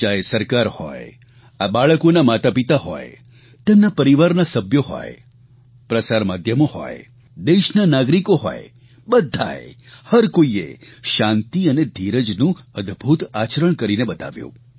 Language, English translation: Gujarati, The government, their parents, family members, media, citizens of that country, each one of them displayed an aweinspiring sense of peace and patience